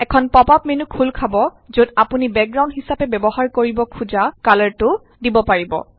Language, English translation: Assamese, A pop up menu opens up where you can select the color you want to apply as a background